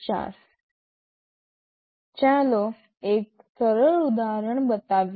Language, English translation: Gujarati, Let us show a simple example